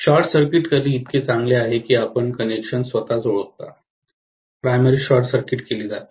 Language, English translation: Marathi, It is as good as short circuiting that particular complete you know the connection itself, the primary is short circuited